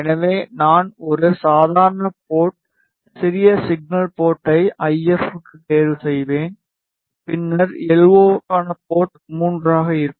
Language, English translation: Tamil, So, I will choose a normal port small signal port for RF and then, I will choose harmonic port which is port 3 for LO